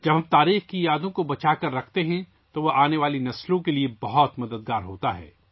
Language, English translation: Urdu, When we cherish the memories of history, it helps the coming generations a lot